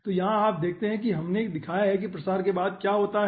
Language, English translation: Hindi, okay, so here you see, we have shown after propagation what happens